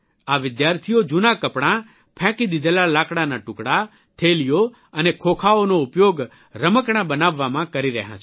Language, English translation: Gujarati, These students are converting old clothes, discarded wooden pieces, bags and Boxes into making toys